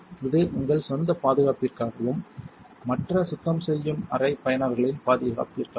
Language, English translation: Tamil, This is for your own safety and for the safety of other cleanroom users